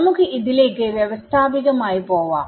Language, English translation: Malayalam, So, we will go through this very systematically